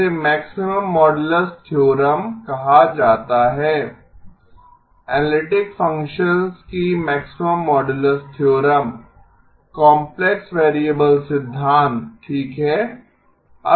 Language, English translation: Hindi, This is called the maximum modulus theorem, maximum modulus theorem of analytic functions, complex variable theory okay